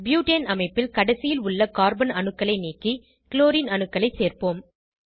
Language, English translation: Tamil, Lets replace the terminal Carbon atoms in Butane structure with Chlorine atoms